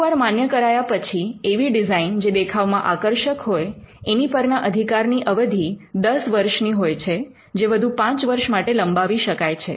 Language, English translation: Gujarati, When granted a design, which is has a visual appeal has a 10 year term and the 10 year term can be renewed to a further 5 year term